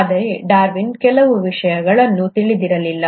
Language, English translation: Kannada, But, Darwin did not know certain things